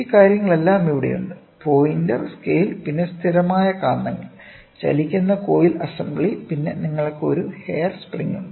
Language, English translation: Malayalam, All these things are here, pointer, scale, then permanent magnets, moving coil assembly, then, you have a hair spring